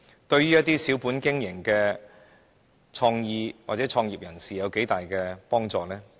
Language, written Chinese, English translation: Cantonese, 對小本經營的創業人士有多大幫助？, To what extent can it help business - starters with a small capital base?